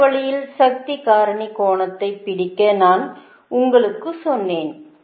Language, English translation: Tamil, i told you that to capture the power factor angle you have to write it like this